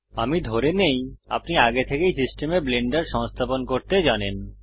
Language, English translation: Bengali, I assume that you already know how to install blender on your system